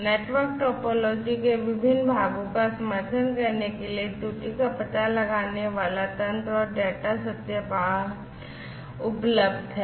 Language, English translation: Hindi, And, error detecting mechanisms and data validation for supporting you know different parts of the network topology